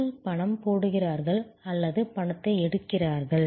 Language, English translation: Tamil, People come into put in money or take out money